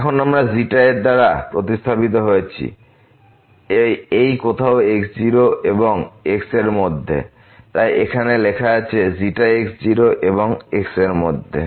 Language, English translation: Bengali, Now we have replaced by xi it lies somewhere between this and the point , so which is written here the xi lies between and